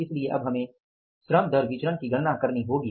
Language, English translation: Hindi, We will have to calculate the labor cost variance